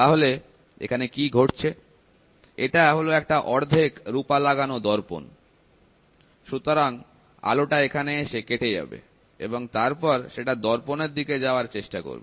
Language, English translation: Bengali, So, then what happened this is a half silvered mirror so, the light gets cut here, the light gets cut here and then it tries to travel towards the mirror